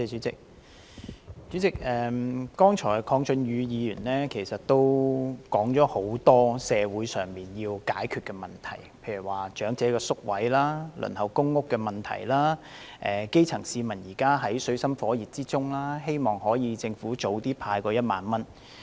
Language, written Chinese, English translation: Cantonese, 主席，剛才鄺俊宇議員說了很多社會上要解決的問題，例如長者院舍宿位和輪候公屋的問題，基層市民現正在水深火熱之中，希望政府早日派發1萬元。, President just now Mr KWONG Chun - yu said that many social problems are yet to be solved such as the waiting time for residential care homes for the elderly and public housing and the grass roots are in dire straits . Hence he hoped the Government will hand out the 10,000 expeditiously